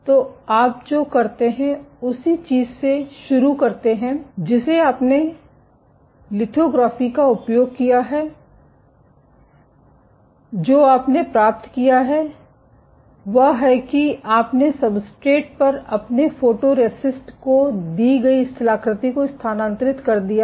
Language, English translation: Hindi, So, what you do you begin with the same thing you have using lithography, what you have achieved is you have transferred a given topography of your photoresist on the substrate